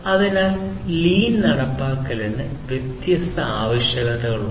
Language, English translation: Malayalam, So, implementation of lean has different requirements